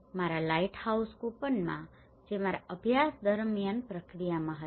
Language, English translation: Gujarati, And in the lighthouse coupon that was in the process during my study